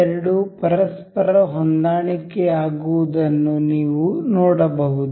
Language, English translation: Kannada, You can see these two getting aligned to each other